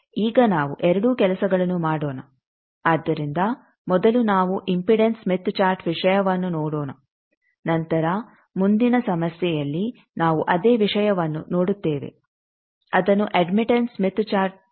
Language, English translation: Kannada, Now let us do both the things so first let us see the impedance smith chart thing, then the next problem we will see the same thing we will plot it in admittance smith chart